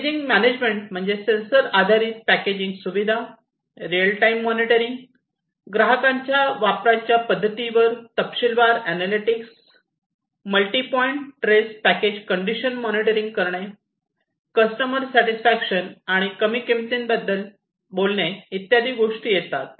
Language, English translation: Marathi, Packaging management talks about sensor based packaging facility, real time monitoring, detailed analytics on customers usage patterns, multi point trace enabling package condition monitoring, continued customer satisfaction, and reduced cost